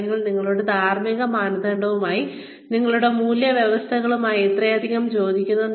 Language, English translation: Malayalam, And what is it, that is, very much in line, with your ethical standards, with your value systems